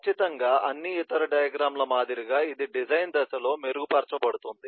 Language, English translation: Telugu, certainly, like all other diagrams, it gets refined in the design phase